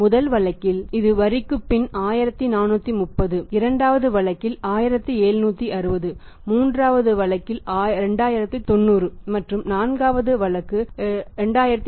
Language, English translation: Tamil, So, how much is the profit after tax left in the first case it is 1430, second case 1760, third case 2090 and fourth case 2420 that is the profit after tax right